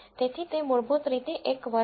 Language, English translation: Gujarati, So, it is basically a class